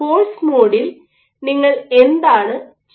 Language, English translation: Malayalam, So, what you do in force mode